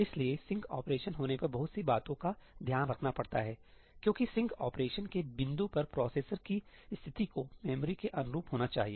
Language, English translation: Hindi, So, a lot of things have to be taken care of when the sync operation happens because at the point of the sync operation the state of the processor has to be consistent with the memory